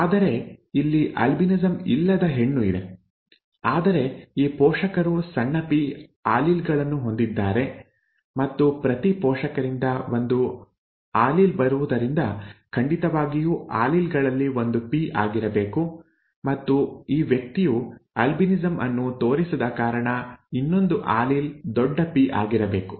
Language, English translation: Kannada, Whereas here the person does not have, itÕs a female who does not have albinism, okay, whereas this parent has both small p alleles and since one allele comes from each parent, definitely one of the alleles has to be p